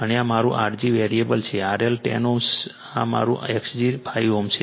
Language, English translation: Gujarati, And this is my R g variable R L is 10 ohm this is my your X g 5 ohm right